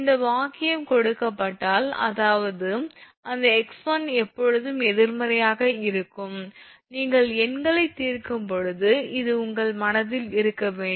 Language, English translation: Tamil, If this sentence is given, that means, that both that x 1 is always negative this should be in your mind when you are solving numericals